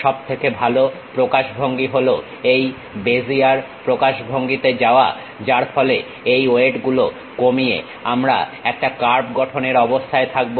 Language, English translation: Bengali, The best representation is to go with this Bezier representation, where by minimizing these weights we will be in a position to construct a curve